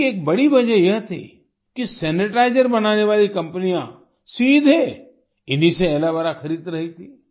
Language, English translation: Hindi, One of the major reasons for this was that the companies making sanitizers were buying Aloe Vera directly from them